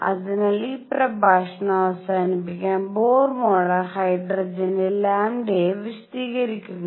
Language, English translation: Malayalam, So, to conclude this lecture, Bohr model explains lambda for hydrogen